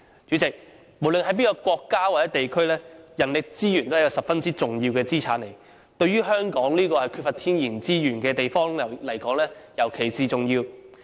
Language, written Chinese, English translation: Cantonese, 主席，無論在任何一個國家或地區，人力資源都是十分重要的資產。對於香港這個缺乏天然資源的地方而言，尤其重要。, President manpower resources are significant assets in all countries or places and are particularly important to Hong Kong a place in lack of natural resources